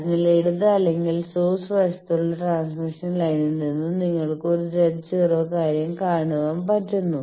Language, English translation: Malayalam, So, that from the transmission line in the left or source side you see a Z naught thing